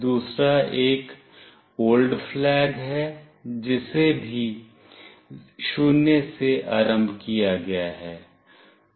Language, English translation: Hindi, Another is old flag, which is also initialized to 0